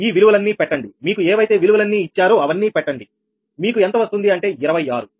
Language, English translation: Telugu, put all these values, all the values, whatever is given, all the values, you will get twenty six